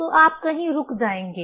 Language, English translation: Hindi, So, you will stop somewhere